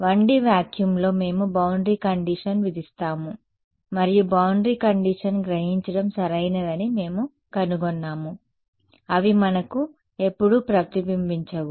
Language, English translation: Telugu, In 1D vacuum we impose the boundary condition and we found that absorbing boundary condition was perfect right, they give us no reflection what so ever